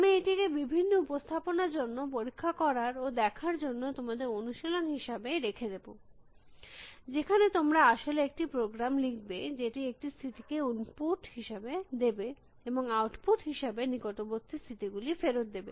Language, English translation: Bengali, I would leave it as an exercise for you to try out different representations for this and see, and actually write a program, which will take a state as an input and return the set of neighboring states as an output